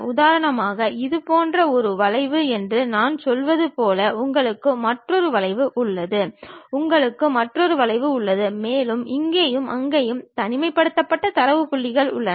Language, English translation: Tamil, For example, like if I am saying something like this is one curve, you have another curve, you have another curve and you have isolated data points here and there